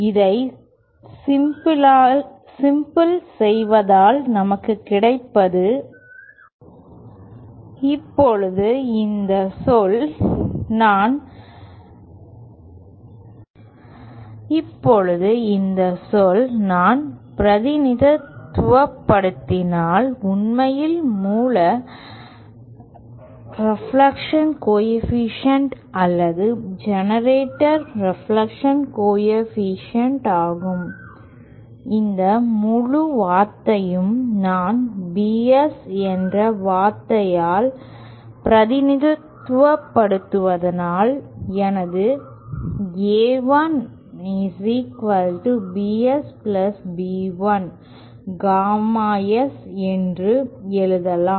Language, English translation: Tamil, Now, this term if I represented by, is actually the source reflection coefficient or generator reflection coefficient and this term, this whole term if I represent it by term BS, then I can simply write my A1 is equal to BS + B1 gamma S